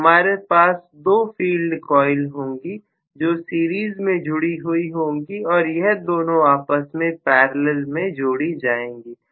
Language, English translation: Hindi, So, if I am going to have the two field coils, actually connected in series and 2 of them are in parallel